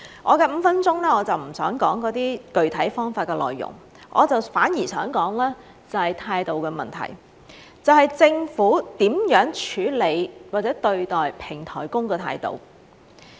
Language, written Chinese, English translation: Cantonese, 我的5分鐘，我就不想說那些具體方法的內容，反而想說說態度的問題，即政府如何處理或者對待平台工的態度。, In these five minutes I prefer not to go into the details of those specific ways but rather I wish to talk about the attitude issue that is the way the Government handles or treats platform workers